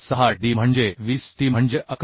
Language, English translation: Marathi, 606 d is 20 t is 11